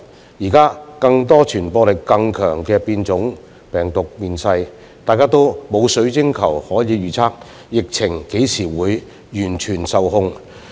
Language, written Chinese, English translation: Cantonese, 現時有更多傳播力更強的病毒變種面世，大家都沒有水晶球可預測疫情何時能完全受控。, With the emergence of virus variants of higher transmissibility no one has a crystal ball to predict when the epidemic will be fully under control